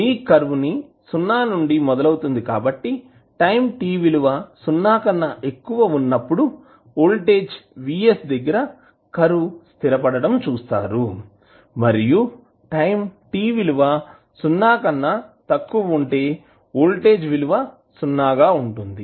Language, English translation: Telugu, Your curve will start from 0 so you will see the curve like this where it will settle down again at voltage vs for time t greater than 0 and for time t less than 0 it will be 0